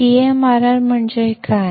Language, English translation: Marathi, What is CMRR